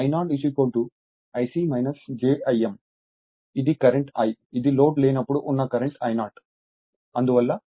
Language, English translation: Telugu, So, this is the currentI that is no load current I 0